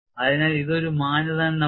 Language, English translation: Malayalam, So, this is one of the criterions